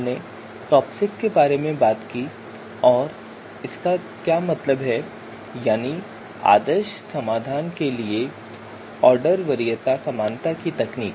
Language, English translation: Hindi, So we talked about TOPSIS what it stands for Technique of Order Preference Similarity to the Ideal Solution